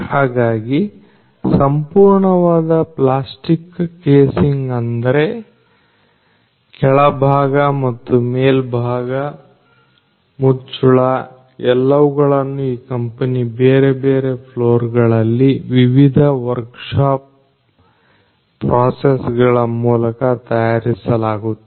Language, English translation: Kannada, So, the entire plastic casing; that means, the bottom part as well as the top part the lid all of these are made in the different floor through the different workshop processes in this company